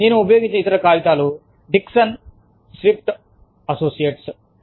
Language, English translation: Telugu, The other paper, that i have used is, by Dickson Swift & Associates